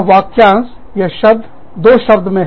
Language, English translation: Hindi, This phrase, this term, into two words